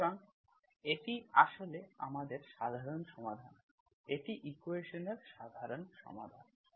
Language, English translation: Bengali, So this is actually or general solution, this is the general solution of equation